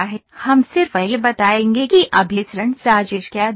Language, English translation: Hindi, We will just tell what does the convergence plot look like